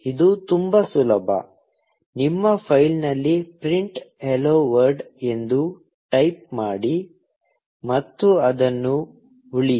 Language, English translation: Kannada, This is just very easy; you just type print 'hello world' in the file, and save it